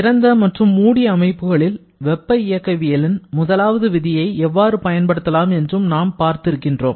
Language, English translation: Tamil, And we have also seen how to apply the first law principle for both closed and open system analysis